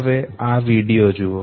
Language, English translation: Gujarati, Look at this video